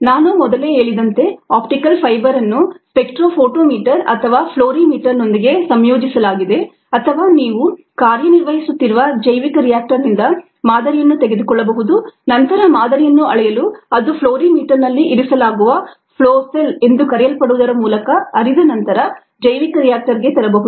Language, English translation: Kannada, as i mentioned earlier, the optical fibre is integrated ah with a spectro photometer or a fluorimeter, or you could take a sample from the bioreactor as it is operating but bring the sample back in to the bioreactor after it flows through what is called a flow cell, which is placed in the fluorimeter for measurement